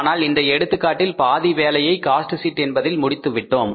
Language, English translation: Tamil, But in this case, we have done half of the work in the cost sheet